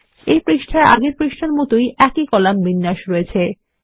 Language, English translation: Bengali, This page contains the same column format as on the previous page